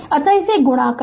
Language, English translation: Hindi, So, multiply this